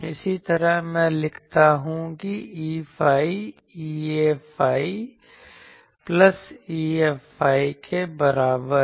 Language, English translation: Hindi, Similarly, let me write E phi is equal to E A phi plus E F phi